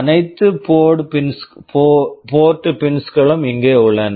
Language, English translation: Tamil, All the port pins are available here